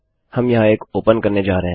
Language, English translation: Hindi, Were going to open one here